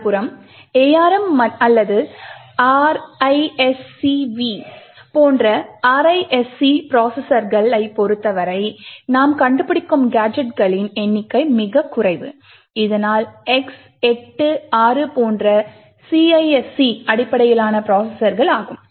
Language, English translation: Tamil, On the other hand for RISC processor such as ARM or RISC V the number of gadgets that we find are much more lesser thus CISC based processors such as the X86 are more prone to ROP attacks then RISC processor such as ARM or OpenRISC or RISC5